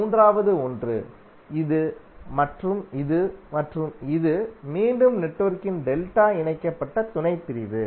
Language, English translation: Tamil, Third onE1 is, this this and this is again a delta connected subsection of the network